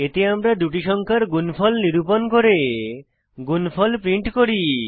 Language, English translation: Bengali, This will perform multiplication of two numbers